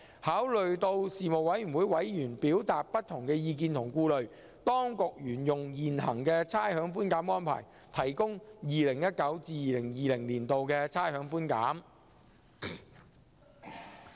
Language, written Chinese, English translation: Cantonese, 考慮到事務委員會委員表達的不同意見及顧慮，當局沿用現行的差餉寬減安排，提供 2019-2020 年度的差餉寬減。, Taking account of the diverse views and reservations expressed by Panel members the Administration has adopted the existing rates concession arrangement for providing rates concession in 2019 - 2020